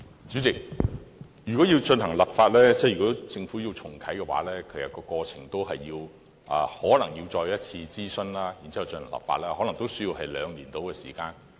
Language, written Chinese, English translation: Cantonese, 主席，如要進行立法，即如果政府要重啟的話，其實過程可能是要再次諮詢，然後立法，可能也須約兩年的時間。, President if the Government is to re - open the legislative exercise it may need to conduct fresh consultation before introducing any amendments for enactment . The whole process may take about two years to complete